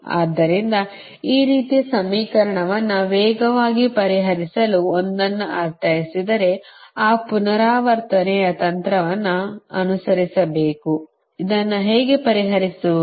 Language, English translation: Kannada, so if we i mean one to solve fast this kind of equation, we have to follow that iterative technique right, that how to solve this